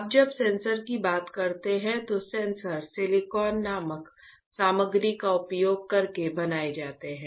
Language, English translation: Hindi, Now, sensors when talk about sensors, sensors are fabricated using a material called silicon, right